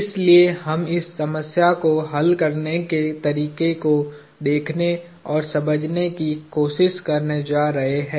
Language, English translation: Hindi, So, we are going to try to go through and understand how to solve this problem